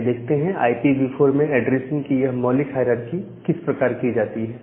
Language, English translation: Hindi, So, let us look into that how this basic hierarchic of addressing is being done in IPv4